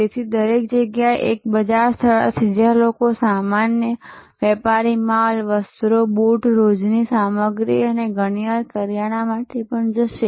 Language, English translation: Gujarati, So, everywhere there will be a market place, where people will go for general merchandise apparel, shoes, daily ware stuff and often also for groceries